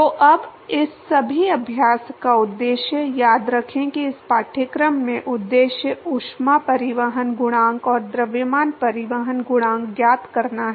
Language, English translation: Hindi, So, now, the purpose of all this exercise, remember that in this course the purpose is to find the heat transport coefficient and the mass transport coefficient